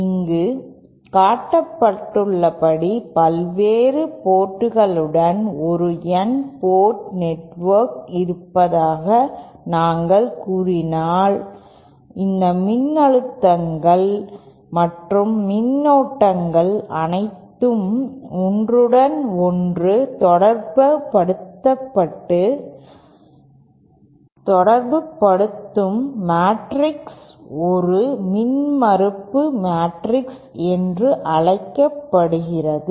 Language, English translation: Tamil, If we say have an N port network with various ports as shown like this, then the matrix that relates all these voltages and currents to each other is called a impedance matrix